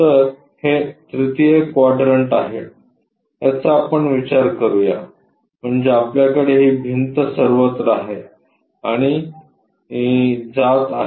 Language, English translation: Marathi, So, it is more like let us consider this is the 3rd quadrant, that means, we have this wall goes all the way and goes